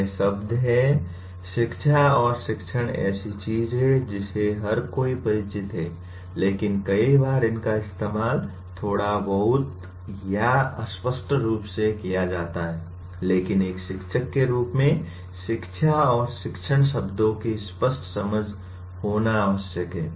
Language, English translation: Hindi, These are words, education and teaching are something that everybody is familiar with but many times they are used a bit interchangeably or ambiguously and so on but as a teacher one is required to have a clear understanding of the words “education” and “teaching” which we will explore in the following unit